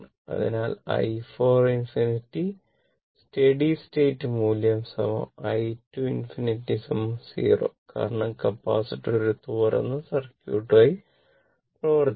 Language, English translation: Malayalam, So, i 4 infinity the steady state value is equal to i 2 infinity is equal to 0 because capacitor act as an open circuit